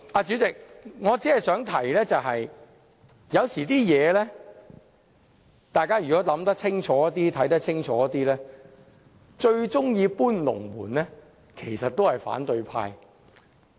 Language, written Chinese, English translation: Cantonese, 主席，我想說的是，只要大家仔細看看和想想，便會知道最喜歡"搬龍門"的其實是反對派。, President what I am trying to say is that if we look and think carefully we will know that it is the opposition camp which is most keen to move the goalposts